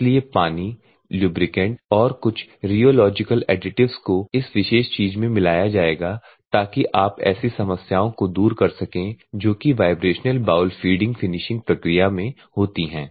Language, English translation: Hindi, That is why water, plus lubricant, plus some of the other things all the rheological additives will be added for this particular thing so, that you can overcome some of the problems that are in the vibrational bowl feeding finishing process